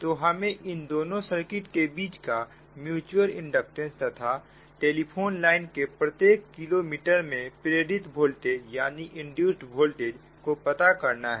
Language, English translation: Hindi, find the mutual inductance between the two circuits and the voltage induced per kilometre in the telephone line